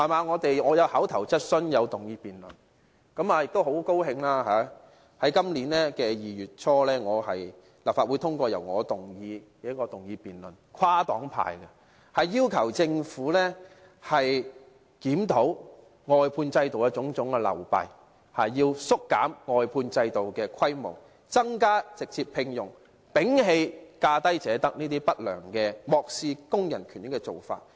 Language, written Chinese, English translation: Cantonese, 我曾提出口頭質詢和議員議案辯論，亦很高興，在今年2月初，立法會跨黨派通過一項由我提出的議案，要求政府檢討外判制度的種種流弊，縮減外判制度的規模，增加直接聘用，摒棄價低者得這種不良而漠視工人權益的做法。, I have put forward an Oral Question and a Members Motion for debate . I am also very glad that in early February this year a motion moved by me was passed in the Legislative Council with cross - party support which asks the Government to review the various shortcomings of the outsourcing system narrow the scale of the outsourcing system directly recruit more workers and get rid of the lowest bid wins approach which is unethical and regardless of workers rights and interests